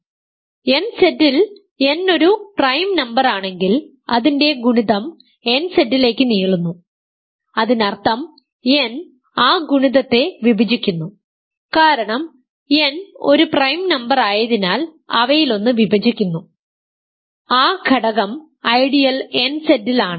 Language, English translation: Malayalam, If nZ, if n is a prime number and a product belongs to nZ; that means, n divides that product because n is a prime number and divides one of them hence that element is in the ideal one nZ